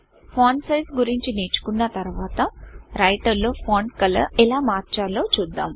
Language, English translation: Telugu, After learning about the font size, we will see how to change the font color in Writer